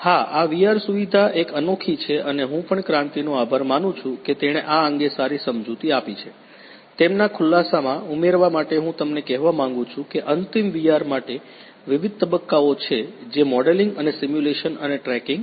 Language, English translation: Gujarati, Yes, this VR facility is a unique one and I also thank Kranti that he has given good explanation to this, to add to his explanation I want to tell you that there are different stages for ultimate VR that modelling and simulation and tracking